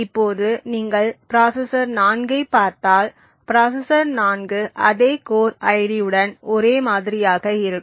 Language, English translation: Tamil, Now if you look at the processor 4 so processor 4 is also on the same for core with the same core ID